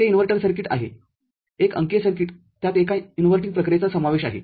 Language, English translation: Marathi, That is the inverter circuit a digital circuit; there is an inverting operation that is involved